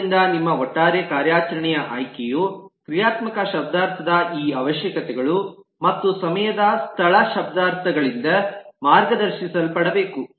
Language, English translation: Kannada, so your overall choice of operations should be guided by this requirements of the functional semantics and the time space semantics